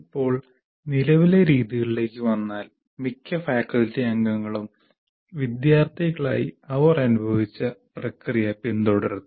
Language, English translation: Malayalam, Now coming to the current practices, most faculty members simply follow the process they experienced as students